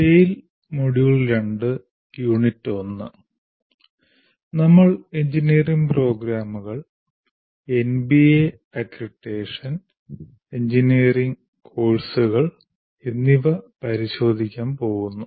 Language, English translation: Malayalam, So tell the module two, the unit 1 is we are going to look at engineering programs, what are they, MBA accreditation and engineering courses